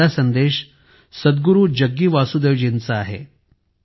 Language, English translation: Marathi, The first message is from Sadhguru Jaggi Vasudev ji